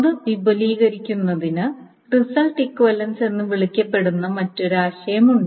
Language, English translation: Malayalam, So, now to extend that, there is another concept which is called result equivalence